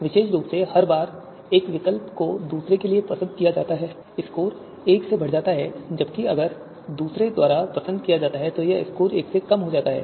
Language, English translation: Hindi, So specifically, each time one alternative is preferred to another, the score is incremented by one, whereas if it is preferred by another, this score is reduced by one